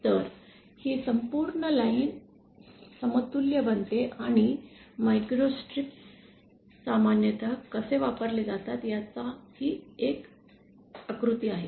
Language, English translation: Marathi, So, this entire line becomes equivalent to our this and this is one diagram of how microstrips are used commonly